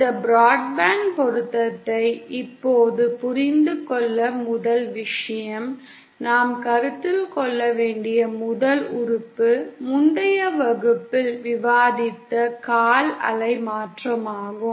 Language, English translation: Tamil, Now the first thing to understand this broadband matching; the first element that we need to consider is the quarter wave transforming, that we had discussed in the previous class